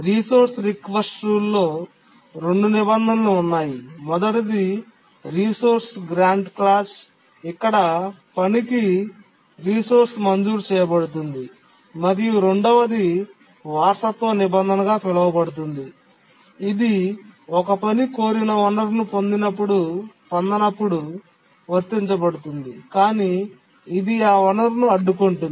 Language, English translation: Telugu, In the resource grant clause this clause is applied when a task is granted a resource whereas an inheritance clause is applied when a task does not get the resource it requested but it blocks